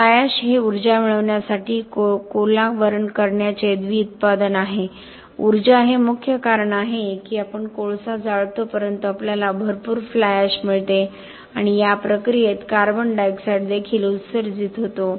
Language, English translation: Marathi, Fly ash is a bi product of burning cola to get energy, energy is the main reason why we burn coal but we get a lot of fly ash and in this process also CO2 is emitted